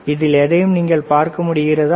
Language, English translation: Tamil, Can you see anything in that this one